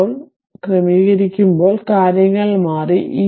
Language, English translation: Malayalam, And as it is sorted now things are changed